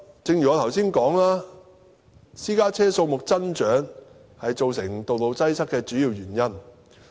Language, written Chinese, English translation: Cantonese, 正如我剛才所說，私家車數目增長是道路擠塞的主因。, As I have mentioned earlier the increase in private cars is the main reasons behind traffic congestion